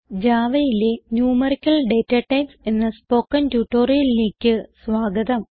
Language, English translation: Malayalam, Welcome to the spoken tutorial on Numerical Datatypes in Java